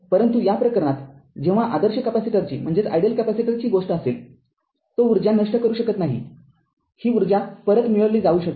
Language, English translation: Marathi, But in this case, when the case of ideal capacitor it cannot dissipate energy, energy can be this energy can be retrieved